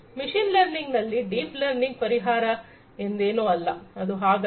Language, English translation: Kannada, It is not the deep learning is the solution in machine learning, it is not like that, right